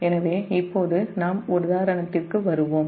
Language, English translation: Tamil, so now will come to the example